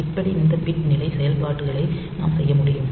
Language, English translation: Tamil, So, these are the bitwise logic operations